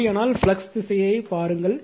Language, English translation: Tamil, So, if it is so then look at the flux direction